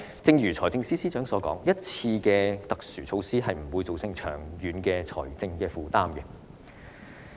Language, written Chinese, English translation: Cantonese, 正如財政司司長所言，一次過的特殊措施不會造成長遠的財政負擔。, As indicated by the Financial Secretary this is a one - off special measure which will not become a long - term financial burden